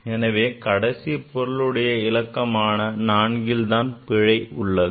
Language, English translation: Tamil, So, error will be here at the last significant figure that is 4